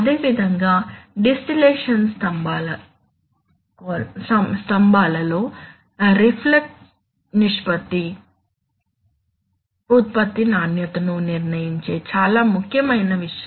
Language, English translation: Telugu, Similarly in distillation columns, reflux ratio is a very important thing which decides product quality